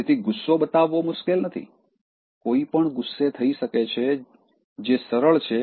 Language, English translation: Gujarati, ” So, it is not difficult to show anger, anybody can become angry that is easy